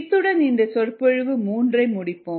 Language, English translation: Tamil, i think we will finish of lecture three with this